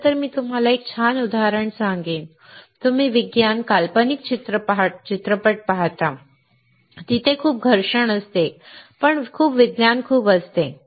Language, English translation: Marathi, In fact, I will tell you a cool example, you see science fiction movies there is lot of friction right, but there is lot of science